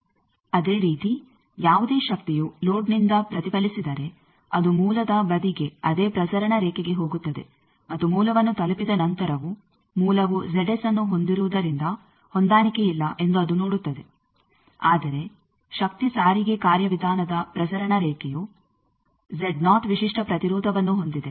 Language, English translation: Kannada, Similarly, if any power is reflected from the load it is going to the source side to the same transmission line, and again after reaching the source it sees that there is a mismatch because source is having Z s, but the power transportation mechanism the transmission line is having the characteristic impedance as Z 0